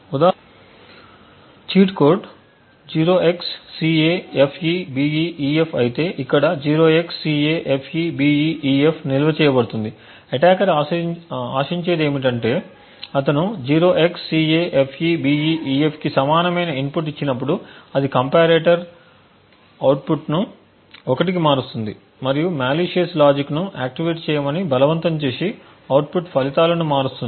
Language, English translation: Telugu, For example if the cheat code is a 0xCAFEBEEF we have 0xCAFEBEEF stored over here now what the attacker would expect is that when he gives an input equal to 0xCAFEBEEF it would change the comparators output to 1 and forcing the malicious logic to be activated and change the output results